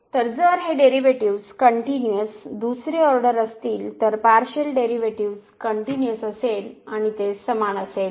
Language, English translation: Marathi, So, if these derivatives are continuous second order partial derivatives are continuous then they will be equal